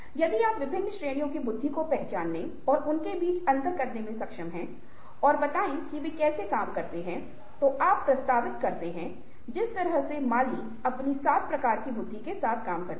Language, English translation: Hindi, if you are able to identify different categories of intelligences and differentiate between them and tell how they operate, then you are able to make a mark, the way gardener does with his dif seven kinds of different kinds of intelligences that he proposes